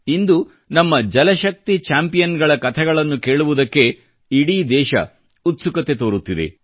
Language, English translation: Kannada, Today the entire country is eager to hear similar accomplishments of our Jal Shakti champions